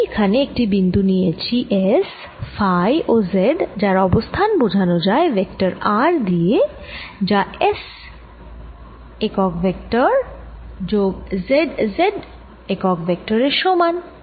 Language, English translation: Bengali, so i am at a point here which is s phi and z, and its position is given by vector r, which is s s plus z z